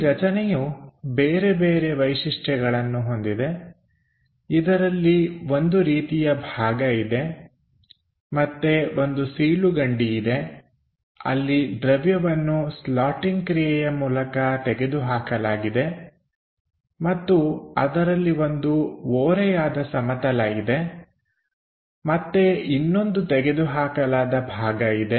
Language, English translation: Kannada, The object have particular features something like a block and something like a slot where material is removed bycreating slotting kind of operation and there is something like an inclined plane again cut